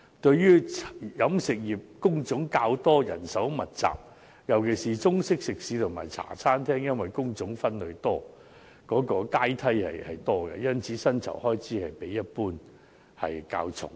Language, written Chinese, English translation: Cantonese, 由於飲食業工種較多及人手密集，尤其是中式食肆及茶餐廳因工種分類和階梯較多，故薪酬開支比例一般較重。, Since the industry has more types of work and is labour - intensive with Chinese - style eateries and Hong Kong style cafes in particular having more divisions and hierarchies of job types the share of payroll costs is generally greater